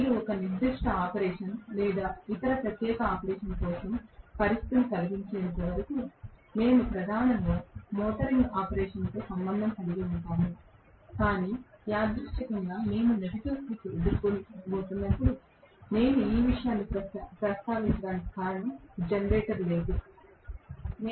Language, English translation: Telugu, As long as you make the situation conduce for 1 particular operation or the other particular type of operation, we are primarily concerned with the motoring operation, but incidentally when we encounter a negative slip that is the reason why I just mentioned this, no more of generator, I will not talk about generator any more